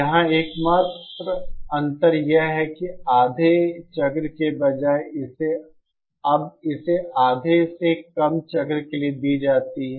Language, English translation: Hindi, Here the only difference is that instead of this being fed for the half cycle; it is now being fed for less than half cycle